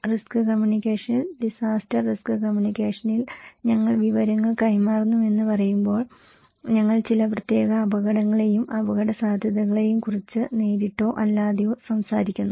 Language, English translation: Malayalam, In risk communication, in disaster risk communications, when we say we are exchanging informations, we are directly or indirectly talking about some particular hazards and risk